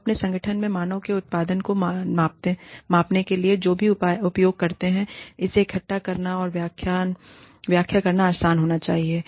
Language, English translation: Hindi, Whatever we use to measure, the output of the human beings, in our organization, should be easy to collect and interpret